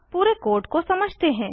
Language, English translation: Hindi, Let us go through the code